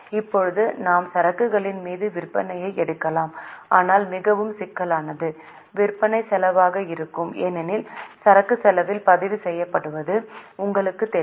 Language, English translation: Tamil, Now, either we can take sales upon inventory but more sophisticated would be cost of sales because you know inventory is recorded at cost